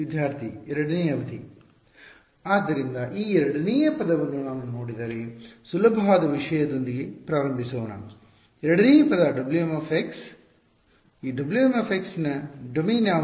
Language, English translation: Kannada, So, this second term if I look at let us start with the easy thing the second term the second term W m x what is the domain of W m x